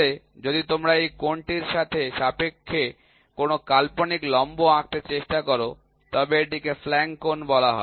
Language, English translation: Bengali, So, if you try to draw an imaginary perpendicular with respect to this angle, it is called as flank angle